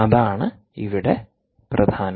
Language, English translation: Malayalam, so thats the key here